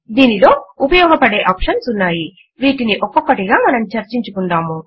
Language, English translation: Telugu, It has useful options which we will discuss one by one